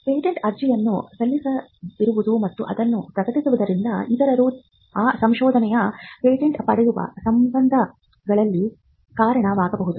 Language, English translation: Kannada, Now, not filing a patent application and merely publishing it could also lead to cases where it could be patented by others